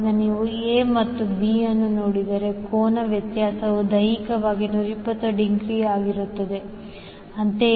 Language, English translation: Kannada, So, if you see A and B, so, the angle difference will be physically 120 degree